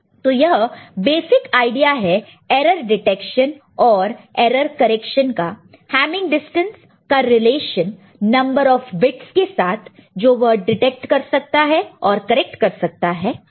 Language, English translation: Hindi, So, this is the basic premise of error detection and error correction, and with Hamming distance, and the relation between Hamming distance, and the number of bits it can detect and number of bits it can correct, ok